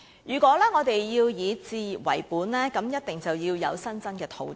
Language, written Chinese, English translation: Cantonese, 如果我們要以置業為本，便一定要有新增的土地。, If we focus on home ownership there must be new land sites